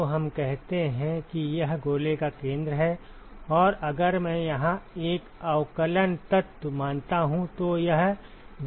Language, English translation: Hindi, So, let us say that this is the centre of the sphere, and if I assume a differential element here